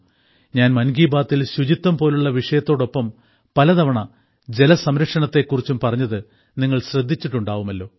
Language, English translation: Malayalam, You must have also noticed that in 'Mann Ki Baat', I do talk about water conservation again and again along with topics like cleanliness